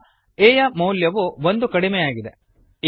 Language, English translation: Kannada, a is assigned the value of 5